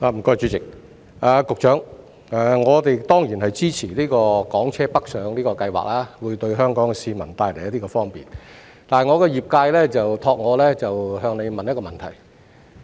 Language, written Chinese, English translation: Cantonese, 局長，我們當然支持港車北上計劃，因為這樣會為香港市民帶來方便，但我的業界委託我向局長提出一個問題。, Secretary we certainly support the Scheme for Hong Kong cars travelling to Guangdong for it will bring convenience to Hong Kong people . But my sector has asked me to put forward a question to the Secretary